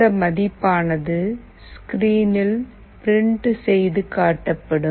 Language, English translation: Tamil, The value gets printed on the screen